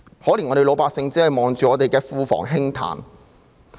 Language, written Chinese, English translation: Cantonese, 可憐我們的老百姓只能看着庫房輕歎。, The poor general public can only sigh at the overflowing treasury then